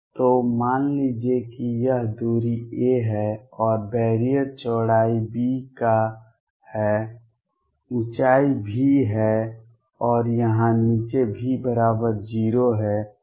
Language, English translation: Hindi, So, let us say this distance is a and the barrier is of width b, the height is V and here V equals 0 at the bottom